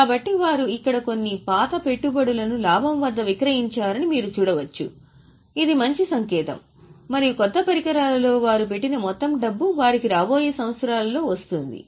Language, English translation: Telugu, , you can see here they have sold some of the old investments at profit, which is also a good sign, and all that money they have put in in the new equipments